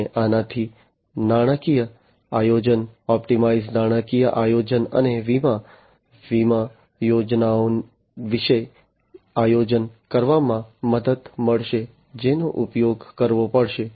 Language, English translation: Gujarati, And this will help in financial planning, optimized financial planning and insurance, you know planning about the insurance schemes that will have to be used